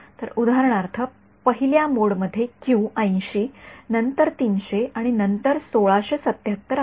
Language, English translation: Marathi, So, for example, the first mode have the Q of 80 then 300 and then 1677